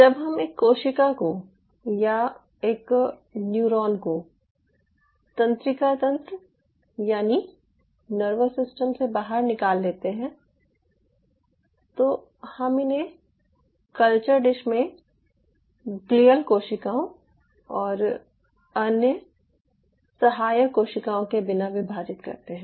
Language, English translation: Hindi, when we remove a cell or we remove a neuron from the nervous system, we are dividing it in a culture dish without the glial cells and other supporting cell types